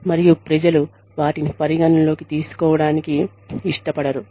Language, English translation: Telugu, And, people do not want to take them, into account